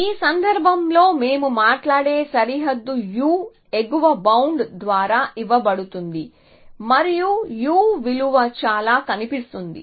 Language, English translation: Telugu, In this case, the boundary that we are talking about their given by the u upper bound on would look something like this